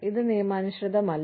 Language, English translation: Malayalam, This is not lawful